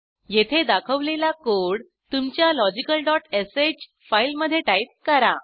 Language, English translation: Marathi, Now type the code as shown here in your logical.sh file